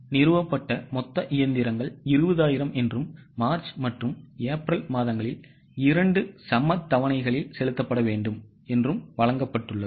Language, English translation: Tamil, It is given that total machinery installed is 20,000 and it is to be paid in two equal installments in March and April